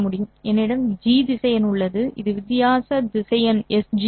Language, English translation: Tamil, I also have the vector G and this would be the difference vector S minus G